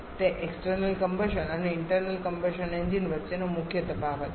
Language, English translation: Gujarati, That is the major difference between external combustion and internal combustion engines